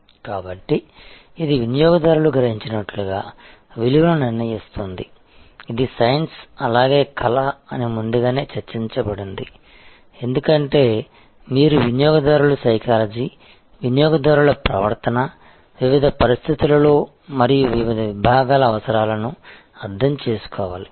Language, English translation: Telugu, And so this is determining the value as perceive by the customer is science as well as art that has been discussed earlier, because you have to understand customer psychology, customers behavior, consumer or requirement under different circumstances, under in different situations and for different segments